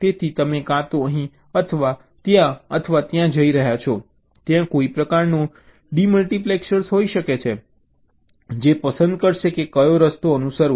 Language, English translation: Gujarati, so your are going either here or there, or there there can be some kind of a demultiplexer which will be selecting which path to follow